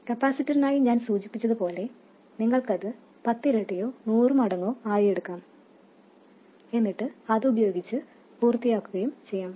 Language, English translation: Malayalam, And just like I mentioned for the capacitor, you could choose, let's say, 10 times or 100 times more and be done with it